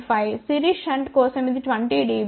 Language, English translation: Telugu, 5 for series shunt it is about 20 dB